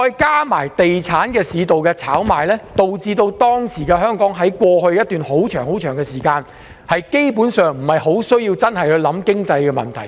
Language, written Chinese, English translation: Cantonese, 加上地產市道的炒賣，令香港在過去一段長時間，基本上不太需要考慮經濟問題。, Moreover speculative transactions in the property market have basically spared the need for Hong Kong to consider any financial problem